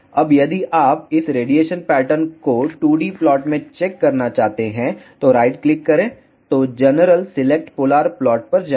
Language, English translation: Hindi, Now, if you want to check this radiation pattern in 2D plot right click then go to general select polar plot